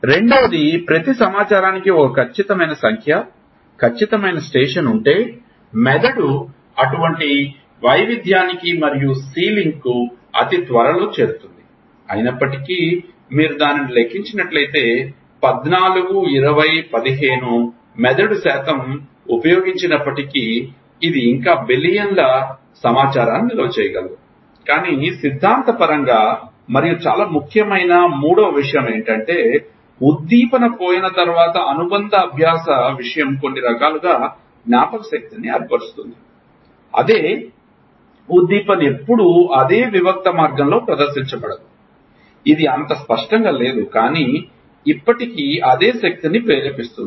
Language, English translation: Telugu, Second, if there is a definite number, definite station for every set of information then the brain will reach such variation and sealing very soon although, if you calculate it even if 14, 20, 15, percent of brain is utilized it still it can store billions of information, but theoretically and the third thing which is very important is again that associative learning thing once stimulus is gone in it has formed certain memory stuff that, same stimulus is never presented in the same discrete way it is never so clear, but it still stimulates the same energy